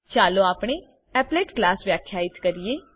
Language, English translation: Gujarati, Let us now define our applet class